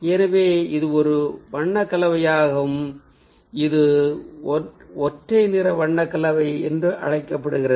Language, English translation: Tamil, so, ah, that is a color combination, which is known as the monochromatic color combination